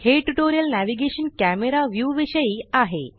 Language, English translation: Marathi, This tutorial is about Navigation – Camera view